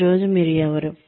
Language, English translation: Telugu, Who you are, today